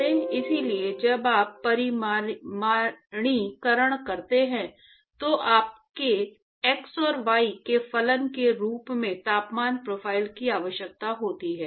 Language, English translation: Hindi, So, when you say quantify, you need the temperature profile as a function of x, y